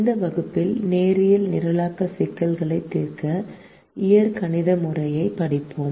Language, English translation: Tamil, in this class we will study the algebraic method to solve linear programming problems